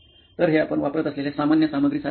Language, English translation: Marathi, So these are like the most common materials that you use